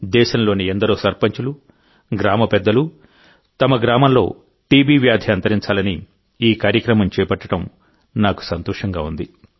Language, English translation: Telugu, I am happy that many sarpanchs of the country, even the village heads, have taken this initiative that they will spare no effort to uproot TB from their villages